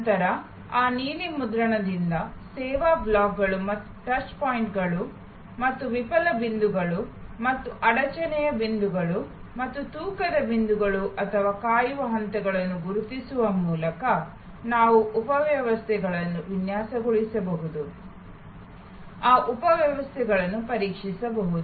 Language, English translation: Kannada, Then, from that blue print by identifying the service blocks and the touch points and the fail points and the bottleneck points and the weight points or the waiting stages, we can then design subsystems, test those subsystems